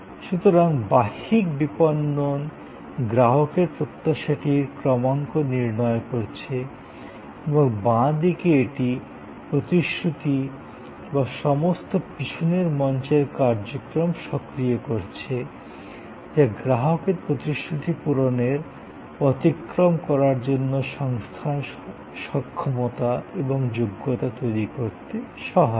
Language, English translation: Bengali, So, the external marketing is making the promise are calibrating the customer expectation and on the left hand side it is enabling the promise or all the back stage activities, that creates the capability and competence for the organization to meet or go beyond the promise in the customers mind